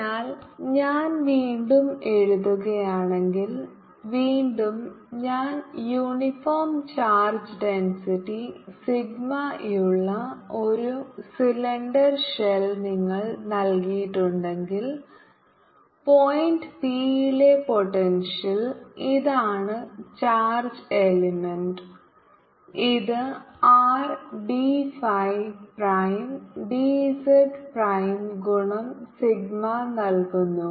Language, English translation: Malayalam, so again, if i write, if i, again, if you are given a cylinder shell having information density sigma, so potential at point p, and this is the charge element which is given by r, t, phi, prime, d, z, prime into sigma, so this is a charge element